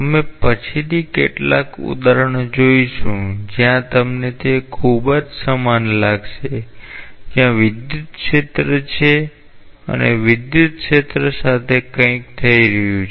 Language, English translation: Gujarati, We will see later on a couple of examples where you will find it very much analogous to as if there is an electrical field and something is happening with the electrical field